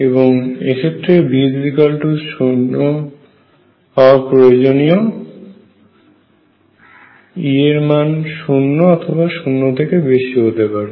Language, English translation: Bengali, And necessarily v 0 e is going to be greater than or equal to 0